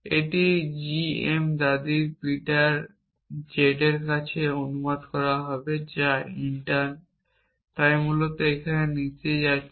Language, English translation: Bengali, This will get translated to g m grandmother Peter z which intern will so essentially here going down